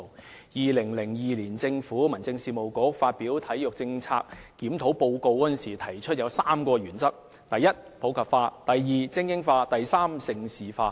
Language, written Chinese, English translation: Cantonese, 在2002年，民政事務局發表《體育政策檢討報告書》時提出了3項原則：第一，是普及化；第二，是精英化；及第三，是盛事化。, The Home Affairs Bureau put forth three principles in the Report of the Sports Policy Review Team published in 2002 First promoting sports in the community; second supporting elite sports; and third developing Hong Kong into a prime destination for hosting major international sports events